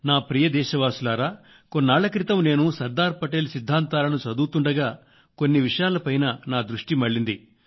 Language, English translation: Telugu, My dear countrymen, I was trying to understand the thought process of Sardar Patel a few days ago when some of his ideas grabbed my attention